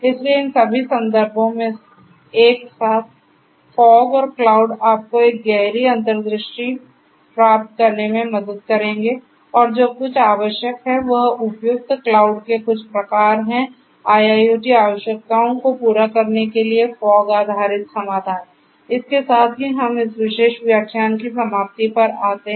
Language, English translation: Hindi, So, fog and cloud together in all these references will help you to get a deeper insight and what is required to have is some kind of suitable cloud, fog based solutions for catering to the IIoT requirements, with this we come to an end of this particular lecture